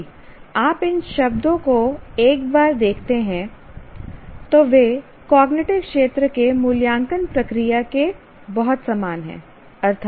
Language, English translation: Hindi, If you look at it, these words once again look very similar to evaluate process of cognitive domain